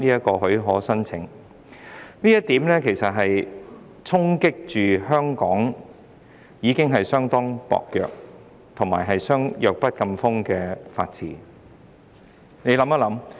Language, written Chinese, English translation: Cantonese, 這項修訂其實會衝擊香港已經相當薄弱及弱不禁風的法治。, This amendment will in fact deal a blow to the rule of law in Hong Kong which is already weak and feeble